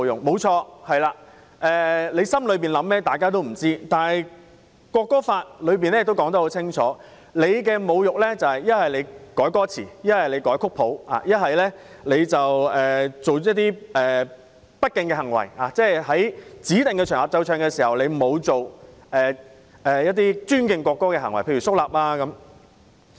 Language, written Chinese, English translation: Cantonese, 沒錯，心底所想沒人知道，但《條例草案》清楚指出，侮辱國歌指的是篡改歌詞、篡改曲譜或做出不敬行為，例如在指定場合奏唱國歌時，沒有做出尊敬國歌的行為，例如肅立等。, Correct no one knows what you think deep in your heart but the Bill clearly provides that insulting the national anthem refers to altering its lyrics or score or behaving in a disrespectful way . For example when the national anthem is played or sung on a designated occasion one fails to behave in a way respectful to the national anthem such as standing solemnly